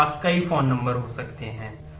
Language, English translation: Hindi, I may have multiple phone numbers